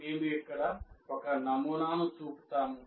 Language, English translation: Telugu, We will show one sample here like this